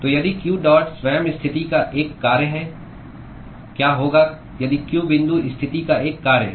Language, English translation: Hindi, So, if q dot itself is a function of position what if q dot is a function of position